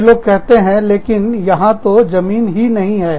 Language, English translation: Hindi, So, these people say, but, there is no place